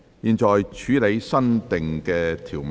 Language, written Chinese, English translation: Cantonese, 現在處理新訂條文。, The committee now deals with the new clause